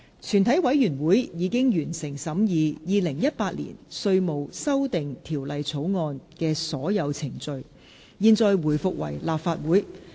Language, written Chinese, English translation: Cantonese, 全體委員會已完成審議《2018年稅務條例草案》的所有程序。現在回復為立法會。, All the proceedings on the Inland Revenue Amendment Bill 2018 have been concluded in committee of the whole Council